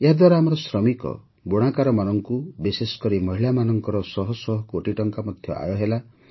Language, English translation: Odia, Through that, our workers, weavers, and especially women have also earned hundreds of crores of rupees